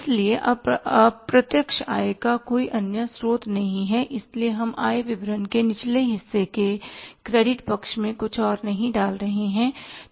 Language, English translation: Hindi, So, we are not putting anything else on the credit side of the lower part of the income statement